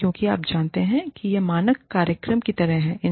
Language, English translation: Hindi, And because, you know, it is like, the standard program